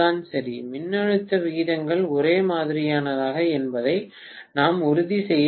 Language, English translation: Tamil, Right So, we have to make sure that voltage ratios are the same